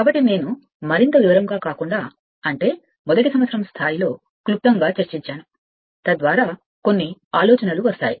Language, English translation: Telugu, So, I will it will be discussed in I mean not in detail in brief at first year level some ideas we will get right